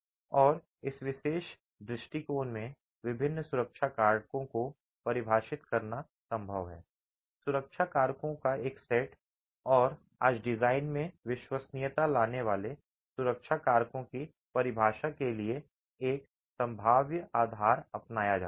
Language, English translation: Hindi, And in this particular approach, it's possible to define different safety factors, a set of safety factors and today a probabilistic basis is adopted for the definition of these safety factors bringing in reliability into the design itself